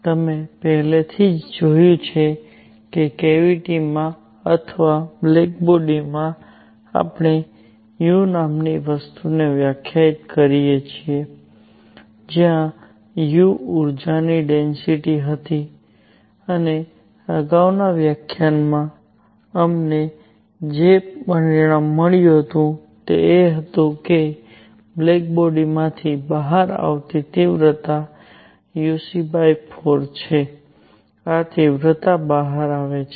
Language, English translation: Gujarati, You have already seen that in a cavity or in a black body, we define something called u; where u was the energy density and the result that we got in the previous lecture was that the intensity coming out of a black body is uc by 4, this is the intensity coming out